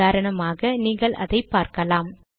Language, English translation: Tamil, For example, you can see that now